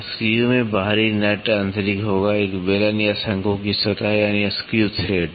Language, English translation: Hindi, Screws will have external nut is internal, surface of a cylinder or a cone, that is the screw thread